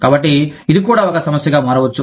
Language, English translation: Telugu, So, this can become a problem, also